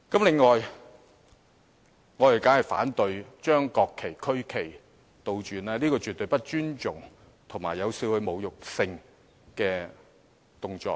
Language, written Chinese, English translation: Cantonese, 此外，我們當然反對將國旗及區旗倒轉擺放，這絕對是不尊重，以及有少許侮辱性的動作。, In addition we certainly oppose inverting the national flags and regional flags . This is absolutely disrespectful and a somewhat insulting act